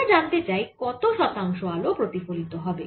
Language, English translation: Bengali, what about the how, what percentage of light is reflected